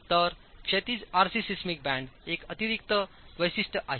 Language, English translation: Marathi, So, the horizontal RC seismic band is an additional feature